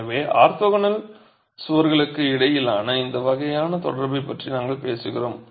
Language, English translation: Tamil, So, we are talking of this sort of a connection between the orthogonal walls